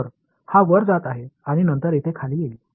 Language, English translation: Marathi, So, this guy is going to go up and then come down over here